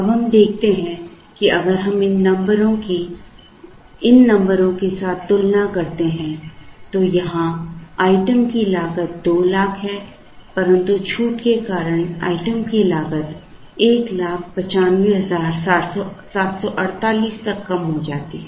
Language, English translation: Hindi, Now, we observe that, if we compare these numbers with these numbers here the item cost is 200,000 because of the discount the item cost comes down to 1, 95,748